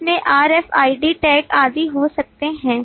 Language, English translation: Hindi, There could be RFID tag and so on